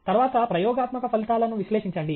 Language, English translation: Telugu, Then analyze experimental results